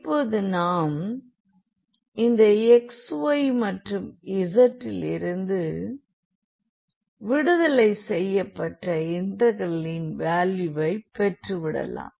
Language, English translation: Tamil, So, at the end this will be free this integral value will not have anything of x y z